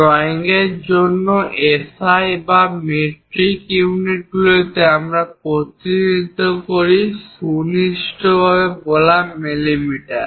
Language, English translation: Bengali, For drawings, SI or metric units precisely speaking millimeters we represent